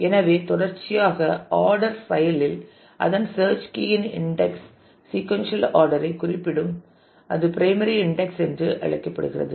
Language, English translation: Tamil, So, in a sequentially ordered file the index whose search key specifies the sequential order is known as the primary index